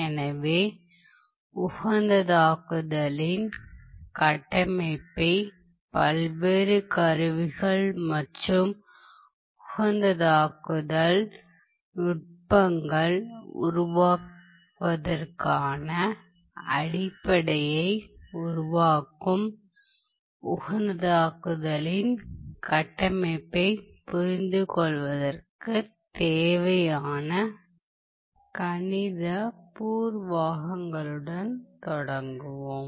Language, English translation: Tamil, So, let us start with the mathematical preliminaries that are required to understand the framework of optimization that is which form the basis of building the framework for optimization, the various tools and techniques for optimization, ok